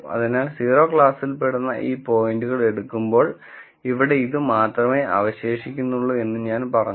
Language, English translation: Malayalam, So, when we take let us say these points belonging to class 0 then I said the only thing that will be remaining is here